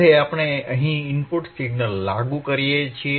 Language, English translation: Gujarati, Now, we apply input signal here